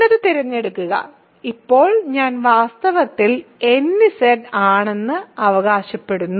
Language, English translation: Malayalam, Now and then choose, now I claim that I is in fact, nZ